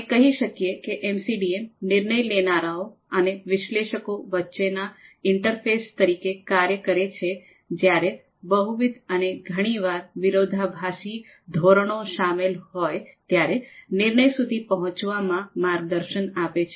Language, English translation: Gujarati, So in another way, we can say that MCDM serves as the interface between DMs and analyst, guiding them in reaching a decision when multiple and often conflicting criterias are involved